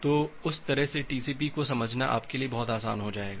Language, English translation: Hindi, So, that way understanding TCP will be much easier for you